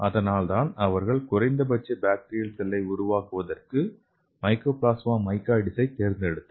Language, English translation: Tamil, So that is why they have selected this Mycoplasma mycoids for making the minimal bacterial cell